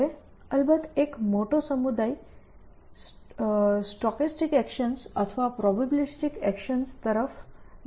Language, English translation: Gujarati, So, now a days of course, there is a big community looking at stochastic actions or probabilistic actions